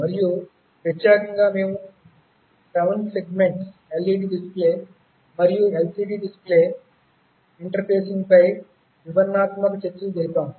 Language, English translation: Telugu, And specifically we had detailed discussions on 7 segment LED display and LCD display interfacing